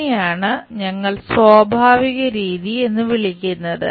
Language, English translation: Malayalam, This is what we call natural method